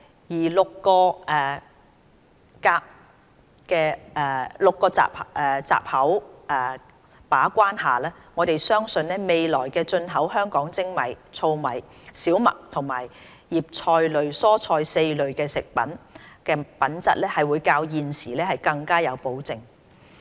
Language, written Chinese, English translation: Cantonese, 在6個閘口把關下，我們相信未來進口香港的精米、糙米、小麥和葉菜類蔬菜4類食品的品質會較現時更有保證。, Given the gate - keeping efforts in respect of six metallic contaminants we believe there will be greater assurance of the quality of the four food groups namely polished rice husked rice wheat and leafy vegetables imported into Hong Kong in the future